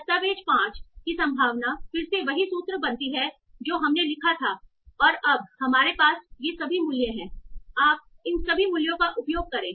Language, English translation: Hindi, That again comes out to be the same formula that we wrote and we have now all these values